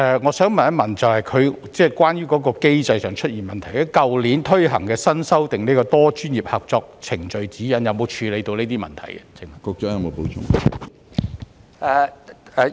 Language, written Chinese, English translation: Cantonese, 我想問局長，去年實施的新修訂《多專業合作程序指引》有否處理機制上出現的問題？, My question for the Secretary is Has the revised Procedural Guide for Multi - disciplinary Co - operation the Guide implemented last year fixed the problems with the mechanism?